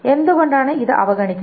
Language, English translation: Malayalam, Why is it ignored